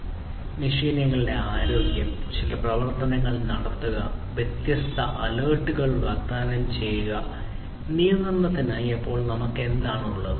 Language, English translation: Malayalam, So, health of the machines, taking some actions, offering different alerts; then, for control we have what